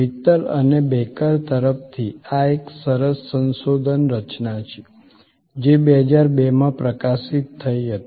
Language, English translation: Gujarati, This is a nice research construct from Mittal and Baker, this was published in 2002